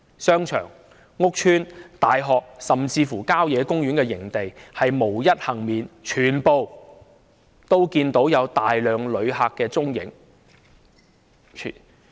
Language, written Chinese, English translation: Cantonese, 商場、屋邨、大學，甚至郊野公園營地無一幸免，全都可看到有大量旅客的蹤影。, Be it the shopping malls housing estates university campuses and even country park campsites none of them is spared . Flocks of visitors can be seen in all these places